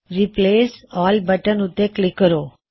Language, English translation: Punjabi, Now click on Replace All